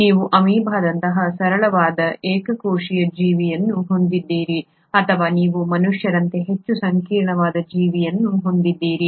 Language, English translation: Kannada, You have a simple, single celled organism like amoeba or you have a much more complex organism like human beings